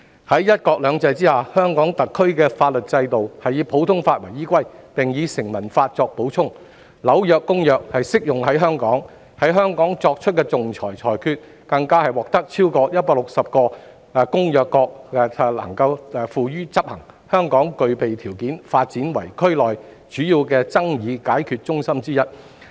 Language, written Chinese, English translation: Cantonese, 在"一國兩制"下，香港特區的法律制度是以普通法為依歸，並由成文法作補充，《紐約公約》亦適用於香港，在香港作出的仲裁裁決，更獲得超過160個該公約的締約國執行，香港具備條件發展為區內主要的爭議解決中心之一。, Under one country two systems the legal system of the Hong Kong Special Administrative Region is based on the common law and supplemented by statute law . As the New York Convention also applies to Hong Kong the arbitral awards made in Hong Kong are enforceable in more than 160 contracting states to the Convention . Hong Kong therefore lends itself to development as one of the major dispute resolution centres in the region